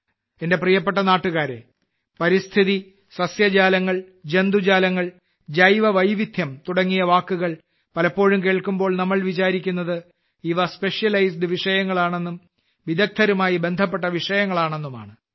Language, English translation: Malayalam, Many a time, when we hear words like Ecology, Flora, Fauna, Bio Diversity, some people think that these are specialized subjects; subjects related to experts